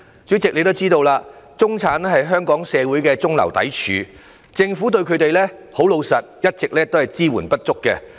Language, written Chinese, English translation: Cantonese, 主席，你也知道中產是香港社會的中流砥柱，老實說，政府一直對他們的支援不足。, Chairman you know the middle class is the mainstay of Hong Kong society but honestly they do not receive adequate support from the Government